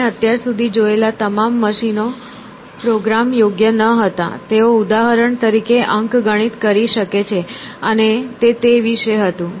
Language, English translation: Gujarati, All the machines that we have seen so far were not programmable; they could do arithmetic for example, and that was about it essentially